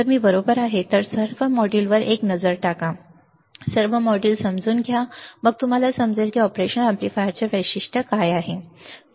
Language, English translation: Marathi, If I am correct then take a look at all the modules, understand all the modules, then you will understand what are the specifications of an operational amplifier, alright